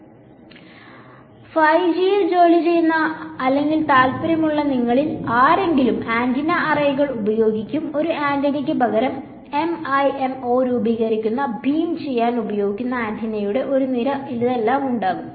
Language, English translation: Malayalam, So, any of you who are in working or interested in 5G, people will be using antenna arrays, instead of just a single antenna there will be an array of antennas which will be used to do beam forming MIMO and all of these things